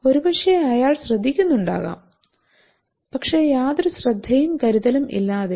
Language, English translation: Malayalam, So maybe he is listening but without any care and concern